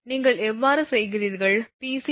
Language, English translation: Tamil, If you do so, Pc will be 472